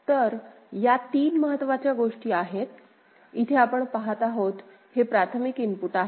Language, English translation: Marathi, So, these are the three important things right, These primary inputs where we are seeing primary input